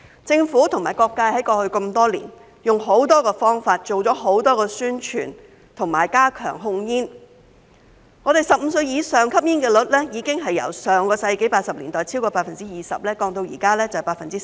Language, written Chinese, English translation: Cantonese, 政府及各界在過去多年用了很多方法，做了很多宣傳，並加強控煙，使本港15歲以上人士的吸煙率已經由上世紀80年代超過 20%， 下降至現時的 10%。, Over the years the Government and various sectors have tried many ways done a lot of publicity and strengthened tobacco control so that the smoking prevalence of persons aged over 15 in Hong Kong has dropped from over 20 % in the 1980s to 10 % at present